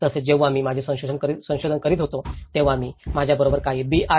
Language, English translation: Marathi, Also, when I was doing my research, I used to engage some of the B